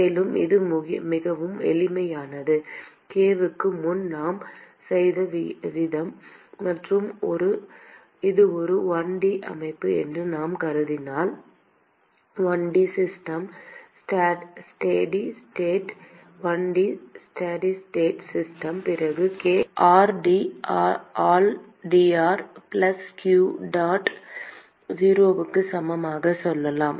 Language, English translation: Tamil, And it is very simple, the way we have done before k and if we assume that it is a 1 D system: 1 D system steady state 1 D steady state system then we can say k into 1 by r d by dr plus q dot equal to 0